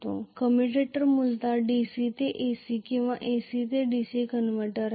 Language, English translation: Marathi, The commutator is essentially a DC to AC or AC to DC convertor